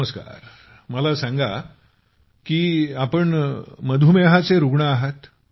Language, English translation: Marathi, Well, I have been told that you are a diabetic patient